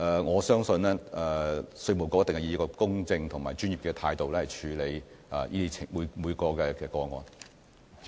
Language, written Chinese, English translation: Cantonese, 我相信稅務局一定會以公正及專業的態度，處理每宗個案。, I believe that IRD will certainly handle each and every case in an impartial and professional manner